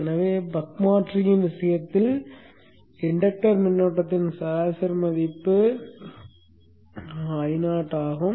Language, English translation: Tamil, This is so for the case of the buck converter where the average value the inductor current is i